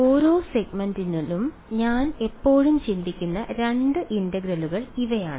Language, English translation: Malayalam, These are the two integrals that I am always thinking about over each segment ok